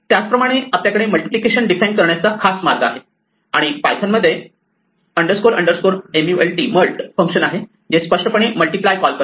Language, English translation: Marathi, In the same way, we could have a special way of defining multiplication, and in python the underscore underscore mult function is the one that is implicitly called by multiply